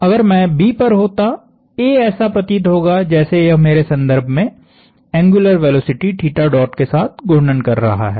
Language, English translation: Hindi, So, if I was at A, B would look like it is rotating about me with an angular velocity theta dot